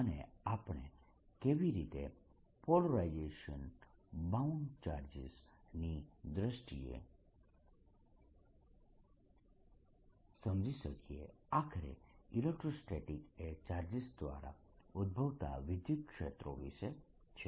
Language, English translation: Gujarati, so polarization and how we can interpret polarization in terms of bound charges after all, electrostatics is all about fields being produced by charges